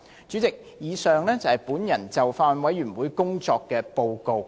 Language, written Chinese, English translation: Cantonese, 主席，以上是我就法案委員會工作的報告。, President the above is my report of the work of the Bills Committee